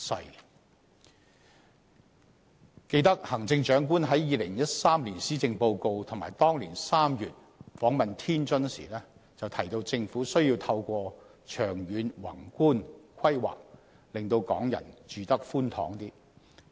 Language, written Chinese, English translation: Cantonese, 猶記得，行政長官在2013年施政報告中，以及當年3月訪問天津時，均提到政府需要透過長遠宏觀規劃，令港人"住得寬敞些"。, I can still recall that in the 2013 Policy Address as well as during his visit to Tianjin in March the same year the Chief Executive said on both occasions that the Government must improve the living space for Hong Kong people through long - term macro planning